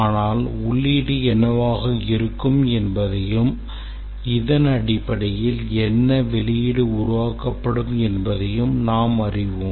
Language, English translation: Tamil, But we know that what will be input and based on this what output will be generated